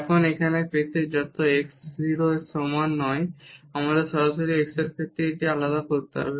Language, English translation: Bengali, Now, here to get this when x is not equal to 0 we have to directly differentiate this with respect to x